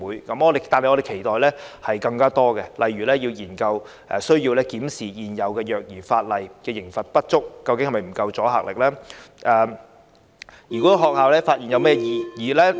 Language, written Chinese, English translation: Cantonese, 然而，我們期待有更多措施，例如需要研究、檢視現有虐兒法例，有關刑罰的阻嚇力究竟是否不足呢？, Nevertheless we expect to have more measures . For instance it is necessary to study and review the existing legislation related to child abuse in order to see whether the penalties have sufficient deterrent effect